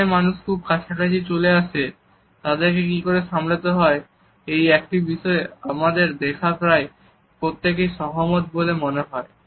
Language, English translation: Bengali, Nearly everyone we met seem to agree on how to cope with someone, who gets a little too close